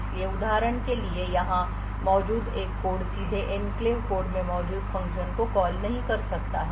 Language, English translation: Hindi, So, for example a code present over here cannot directly call a function present in the enclave code